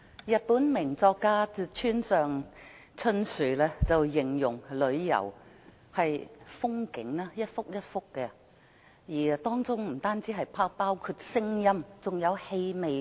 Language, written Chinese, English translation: Cantonese, 日本名作家村上春樹形容旅遊是一幅幅的風景，當中不僅包括聲音，還有氣味。, Haruki MURAKAMI a renowned Japanese novelist portrays tourism as landscape paintings which contain not only sound but also smell